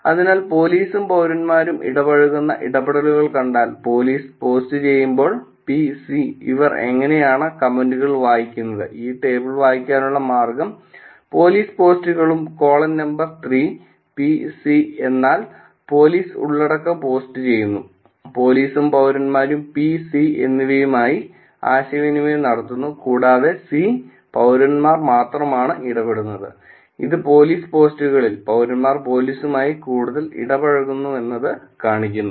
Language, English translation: Malayalam, So, if we see the interactions where police and citizens are interacting, the comments which is P and C is when the police post, the way to read this table is row two which is the police post and the column number 3 which is P and C means that police is posting the content and the police and citizens both are interacting which is P, P and C